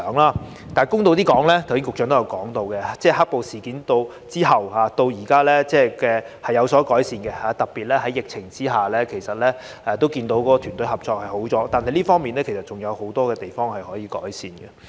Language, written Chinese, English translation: Cantonese, 但是，公道地說，正如局長剛才提到，"黑暴"事件後至今是有所改善的，特別在疫情下，其實也看到團隊合作已改善，但這方面仍有很多地方可以改善。, Nevertheless I have to be fair to them . As just mentioned by the Secretary the situation has been better since the black - clad violence incidents . Especially under the pandemic we actually have observed that their teamwork has improved though there is still much room for improvement